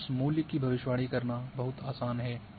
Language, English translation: Hindi, And it is very easy to predict that value